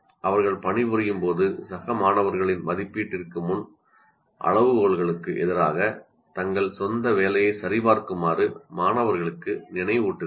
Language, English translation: Tamil, While they're working, she reminds students to check their own work against the criteria before the peer assessment